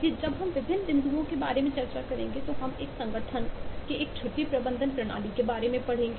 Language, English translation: Hindi, so while we discuss about different points, we will take glimpses from one running example about a leave management system of an organization